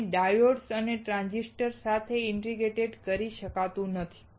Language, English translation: Gujarati, It cannot be integrated with diodes and transistors